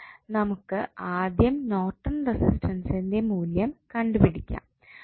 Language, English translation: Malayalam, Now, next task is to find out the value of Norton's current